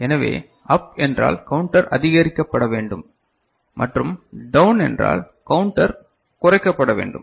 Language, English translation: Tamil, So, up means it need to be increased counter need to be increased and down means counter need to be decreased right